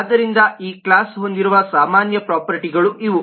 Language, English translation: Kannada, so these are the general properties that this class will have